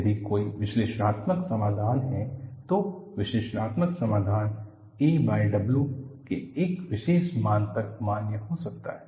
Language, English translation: Hindi, The analytical solution may be valid until a particular value of a by W